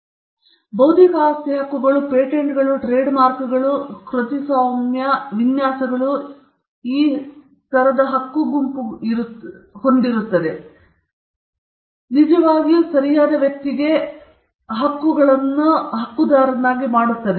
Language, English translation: Kannada, Then, these rights offer a set of rights; intellectual property rights be it patents, trademarks, copyright, designs they offer a set of rights, it is actually a bundle of rights to the right holder